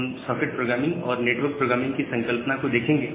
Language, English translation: Hindi, We look into this concept of socket programming and network programming